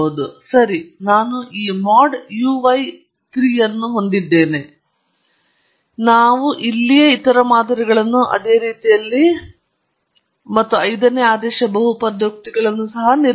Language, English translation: Kannada, Okay so, I have this mod uy 3; let’s also build the other models right here in a similar fashion and the fifth order polynomial as well